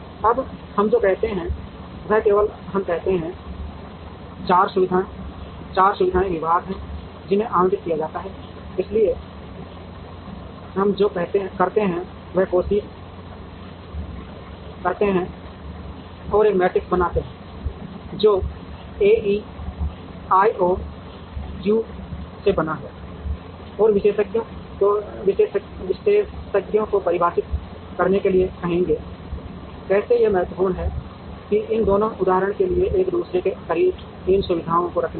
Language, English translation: Hindi, Now, what we do is there are only let us say, there are 4 facilities departments that have to be allocated, so what we do is we try and create a matrix, which is made up of A E I O U and ask the experts to define, how important it is to keep these, these two facilities close to each other for example